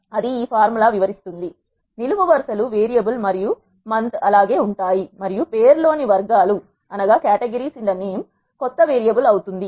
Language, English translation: Telugu, That is what this formula explains, columns variable and month remain as it is and the categories in the name becomes new variable